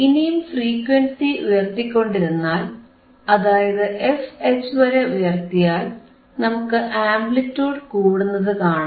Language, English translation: Malayalam, Now if I keep on increasing the voltage frequency about this f H, then I will again see the increase in the amplitude